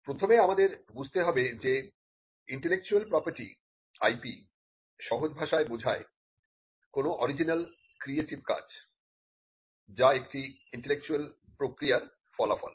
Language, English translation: Bengali, Now first we need to understand what IP Intellectual Property is in simple terms refers to any original creative work which is a result of an intellectual process